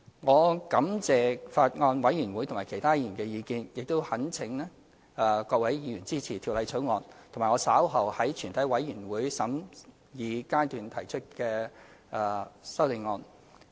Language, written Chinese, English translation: Cantonese, 我感謝法案委員會和其他議員的意見，並懇請各位議員支持《條例草案》，以及我稍後在全體委員會審議階段提出的修正案。, I thank members of the Bills Committee and other Members for their views and implore Members to support the Bill as well as the Committee stage amendments to be proposed by me later on